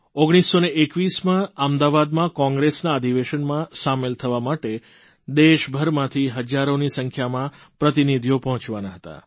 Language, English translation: Gujarati, In 1921, in the Congress Session in Ahmedabad, thousands of delegates from across the country were slated to participate